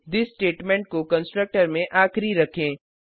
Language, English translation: Hindi, Make the this statement the last one in the constructor